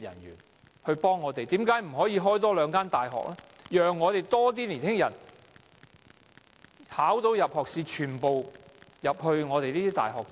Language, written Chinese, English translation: Cantonese, 為甚麼不可以興辦大學，讓年輕人在考獲入學資格後，全部均可入讀大學？, Why not set up another university so that all young people who meet the entrance requirements can be admitted to university?